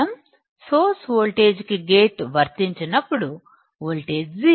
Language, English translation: Telugu, That when we apply no gate to source voltage, voltage is 0